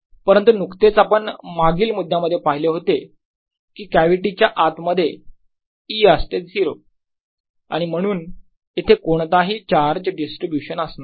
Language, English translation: Marathi, but we just seen the previous point that e zero inside the gravity and therefore they cannot be a distribution of charge